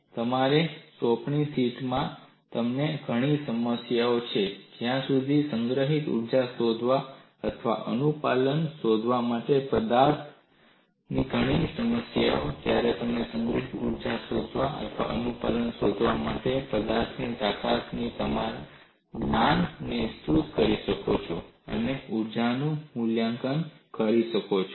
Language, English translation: Gujarati, And you have several problems in your assignment sheet where you could extend your knowledge of strength of materials to find out the energy stored or find out the compliance, and evaluate the energy release rate